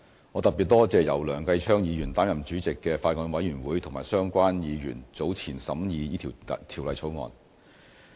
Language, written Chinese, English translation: Cantonese, 我特別多謝由梁繼昌議員擔任主席的法案委員會和相關議員早前審議這項《條例草案》。, My special thanks also go to the Bills Committee chaired by Mr Kenneth LEUNG and other Members who have scrutinized the Bill